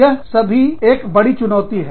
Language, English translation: Hindi, All that, is a big challenge